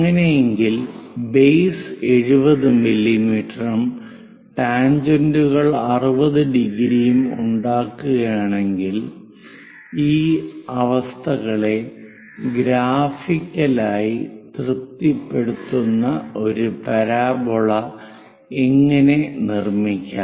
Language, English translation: Malayalam, In that case, if only base 70 mm is given and tangents making 60 degrees; then how to construct a parabola which satisfies these conditions graphically